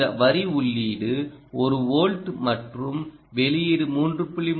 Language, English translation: Tamil, this line indicates that the input is one volt and the output is three point three